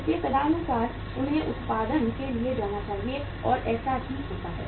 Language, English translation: Hindi, So accordingly they should go for the production and that happens also